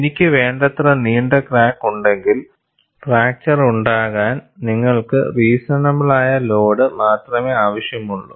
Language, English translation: Malayalam, If I have a long enough crack, you need to have only a reasonable load to fracture